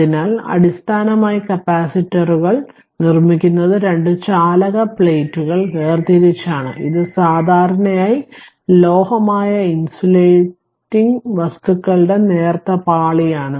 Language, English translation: Malayalam, So, basically capacitors are constructed by separating two conducting plates which is usually metallic by a thin layer of insulating material right